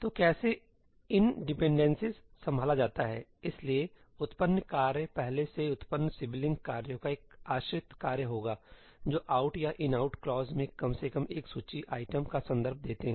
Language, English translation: Hindi, how are ëiní dependencies handled ñ the generated task will be a dependent task of all previously generated sibling tasks that reference at least one of the list items in an ëoutí or ëinoutí clause